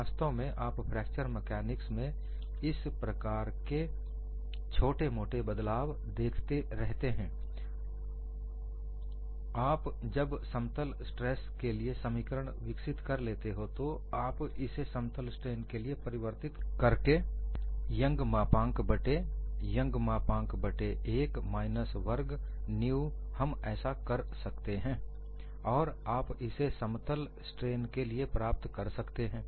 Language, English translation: Hindi, In fact, you would come across this kind of modification in fracture mechanics, you will develop the expression for plane stress then, you can convert it to plane strain by changing young's modulus by young's modulus divided by 1 minus nu square, vice versa